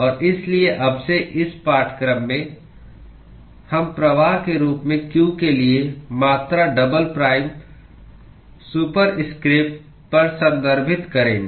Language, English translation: Hindi, And so, henceforth, in this course, the quantity double prime superscript for q usually we will refer to as flux